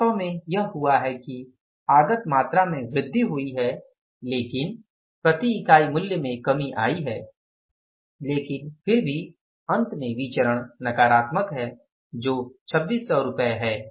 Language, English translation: Hindi, In the actual what has happened, the input quantity has increased but the price per unit has decreased but still the variance ultimately is negative that is 2,000 600 rupees